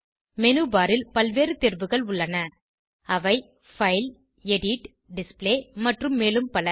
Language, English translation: Tamil, In the menu bar, there are various options like File, Edit, Display, etc